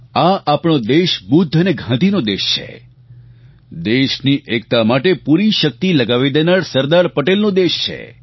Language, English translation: Gujarati, Ours is the country of Buddha and Gandhi, it is the land of Sardar Patel who gave up his all for the unity of the nation